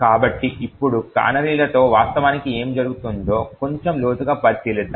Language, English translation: Telugu, So, now let us dwell a little more deeper into what actually happens with canaries